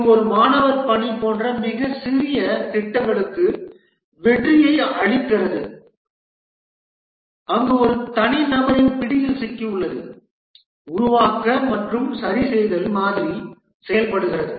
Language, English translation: Tamil, This yields success for very small projects like a student assignment where the problem is within the grasp of an individual, the build and fixed model works